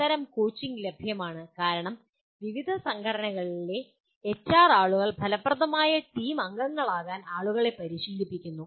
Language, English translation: Malayalam, Such coaching is available because the HR people of various organizations are equipped for coaching people to be effective team members